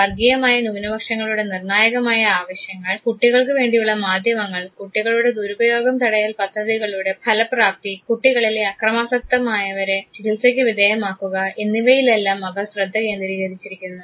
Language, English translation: Malayalam, They also focus on critical needs of ethnic minorities, children’s media effectiveness of child maltreatment prevention program and treatment of violent juvenile offenders